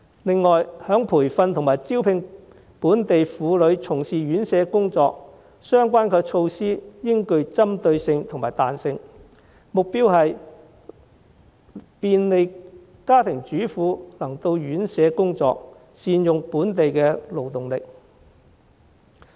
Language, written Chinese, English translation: Cantonese, 此外，在培訓及招聘本地婦女從事院舍工作方面，相關措施應具針對性和彈性，目標是便利家庭主婦能到院舍工作，善用本地勞動力。, In addition on training and recruiting local women to undertake jobs at residential care homes the relevant measures should be targeted and flexible . They should aim at making it convenient for housewives to work at residential care homes and optimizing the use of local workforce